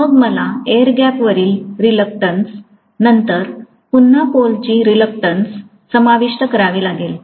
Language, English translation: Marathi, Then I have to include the reluctance of the air gap, then the reluctance of the pole again, right